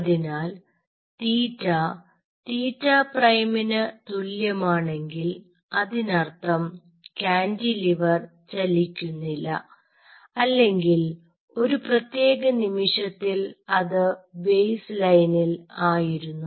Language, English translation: Malayalam, so if theta is equal to theta prime, it means this cantilever is not moving or at that particular instant it was at the baseline